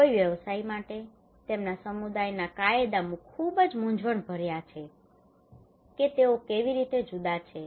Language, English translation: Gujarati, For a practitioner, laws of their community is very confusing that how they are different